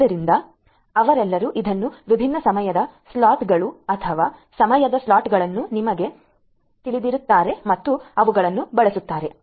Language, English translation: Kannada, So, all of them will be using this you know the different time slices or time slots at different points of time and using them